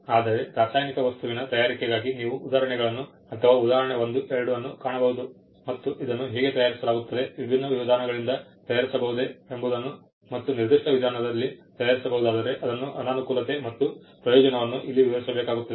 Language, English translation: Kannada, Whereas, for a preparation of a chemical substance, you will find examples or example 1, 2, how this is prepared, the different methods by which it can be prepared and if there is a disadvantage in a particular method that advantage is described